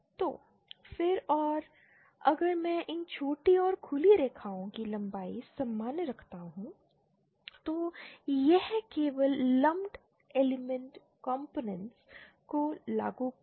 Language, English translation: Hindi, So then and if I keep the length of these shorted and open lines the same then it is just like implementing the lumped element components